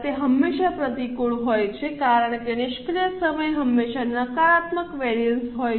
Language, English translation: Gujarati, It is always adverse because idle time is always a negative variance